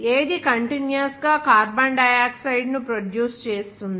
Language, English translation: Telugu, Which constantly produces carbon dioxide